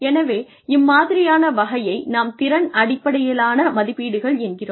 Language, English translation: Tamil, So, that kind of thing, competency based appraisals